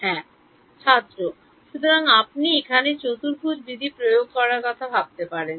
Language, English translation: Bengali, So you can think of applying quadrature rule over here